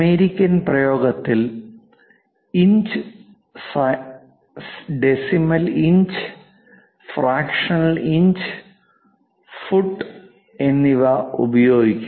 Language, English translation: Malayalam, In American practice, it will be in terms of inches, decimal inches, fractional inches, feet and fractional inches are used